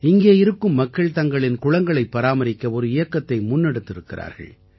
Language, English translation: Tamil, Here, local people have been running a campaign for the conservation of their wells